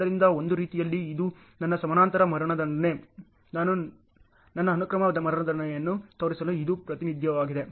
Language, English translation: Kannada, So, in a way this is my parallel execution, this is my representation to show my sequential execution